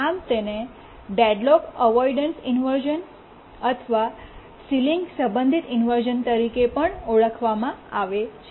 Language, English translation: Gujarati, This is also called as deadlocked avoidance inversion or ceiling related inversion, etc